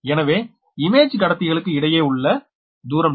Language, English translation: Tamil, therefore, distance between the image conductor is also d